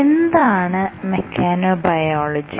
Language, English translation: Malayalam, So, what is mechanobiology